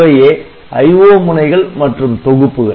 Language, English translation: Tamil, Then there are IO pins and packages